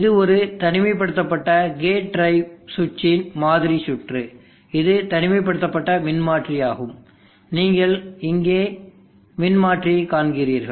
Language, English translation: Tamil, This is a sample circuit of an isolated gate drive circuit, it is transformer isolated you see the transformer here